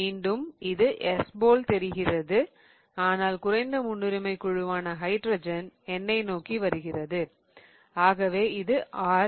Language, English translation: Tamil, Again it looks like else but the least priority group hydrogen is coming towards me so it is R